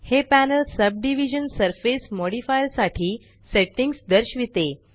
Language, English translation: Marathi, This panel shows settings for the Subdivision surface modifier Left click View 1